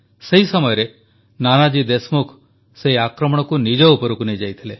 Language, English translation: Odia, It was Nanaji Deshmukh then, who took the blow onto himself